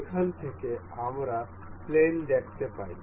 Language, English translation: Bengali, We can see planes from here